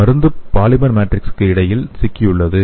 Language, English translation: Tamil, So the drug is entrapped between the polymer matrix